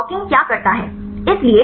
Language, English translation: Hindi, So, what the docking does